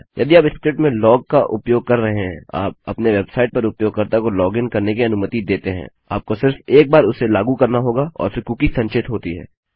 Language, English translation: Hindi, If you are using a log in script and you let the user log into your website, you would need to issue this only once and then the cookie will be stored